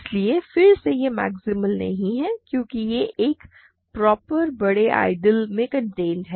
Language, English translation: Hindi, So, again this is not maximal because it is contained in a proper bigger ideal